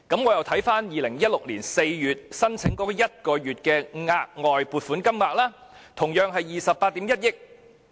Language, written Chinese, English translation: Cantonese, 我再看看2016年4月向財委會申請1個月的額外撥款金額，同樣是28億 1,000 萬元。, When I looked at the application for additional funding submitted to the Finance Committee in April 2016 for providing one additional month of CSSA payment the amount was also 2.81 billion